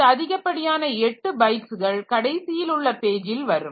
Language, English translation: Tamil, So, 8 more bytes will come in the last page